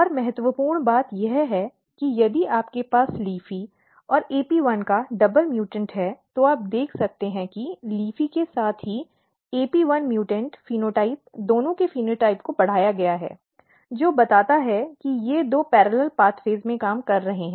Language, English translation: Hindi, And important thing that if you have double mutant of LEAFY and AP1 you can see that phenotype of both LEAFY as well as AP1 mutant phenotype is enhanced which suggest that they are working in two parallel pathways